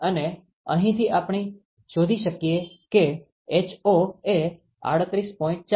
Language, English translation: Gujarati, And from here we can find out ho is 38